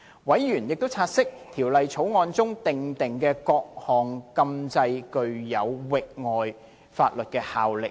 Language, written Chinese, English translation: Cantonese, 委員亦察悉，《條例草案》中訂定的各項禁制具有域外法律效力。, Members also note that the prohibitions provided in the Bill have extra - territorial effect